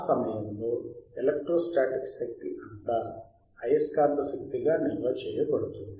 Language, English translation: Telugu, At that instant, all the electrostatic energy is stored as the magnetic energy;